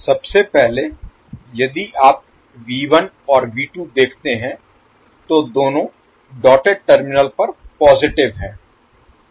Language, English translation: Hindi, So in first, if you see V 1 and V 2 both are positive at the dotted terminal